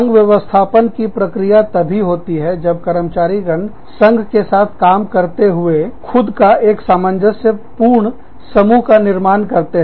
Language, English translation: Hindi, Union organizing process, it takes place, when employees work with a union, to form themselves, into a cohesive group